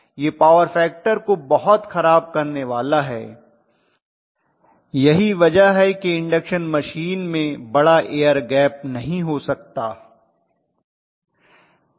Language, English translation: Hindi, It is going to make the power factor much worse, so that is the reason why induction machines cannot have larger air gap